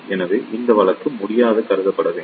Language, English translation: Tamil, So, this case cannot be considered